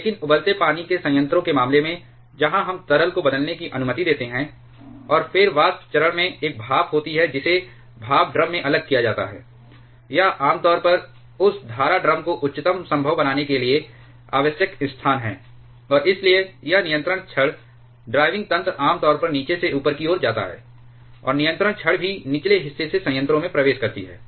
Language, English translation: Hindi, But in case of a boiling water reactor, where we allow the liquid to change it is phase, and then the vapor phase there is a steam that is separated in a steam drum the it is generally required to mount that stream drum to the highest possible location, and therefore, this control rod driving mechanism is generally mounted from in the bottom, and control rods also enter the reactor from the lower side